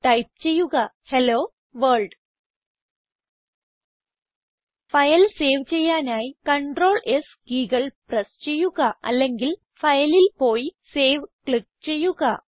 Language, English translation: Malayalam, Type Hello World To save the file, I can press Crtl+S keys or go to File and then click on Save